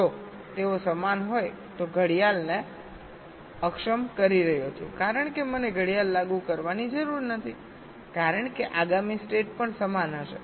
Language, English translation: Gujarati, if they are same, i am disabling the clock because i need not apply the clock, because the next state will also be the same